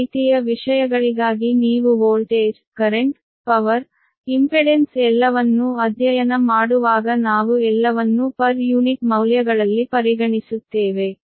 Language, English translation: Kannada, whenever you study everything that voltage, current power, impedance, we consider, everything is in per unit values